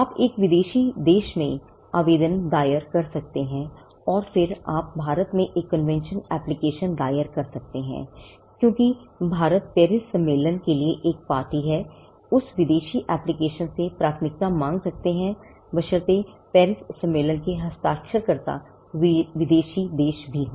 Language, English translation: Hindi, The convention application is, because India is a party to the Paris convention, you can file an application in a foreign country and then you can file a convention application in India, seeking the priority from that foreign application, provided the foreign country is also a signatory to the Paris convention